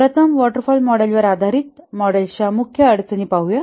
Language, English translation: Marathi, First let's look at the major difficulties of the waterfall based models